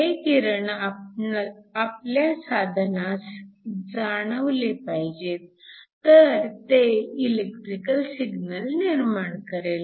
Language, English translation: Marathi, So, This radiation needs to be observed by your device in order to produce an electrical signal